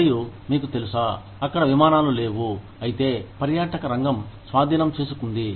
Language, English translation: Telugu, And, you know, there were no flights, of course, tourism has taken over